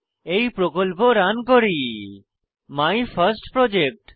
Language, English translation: Bengali, Let me run this Project named MyFirstProject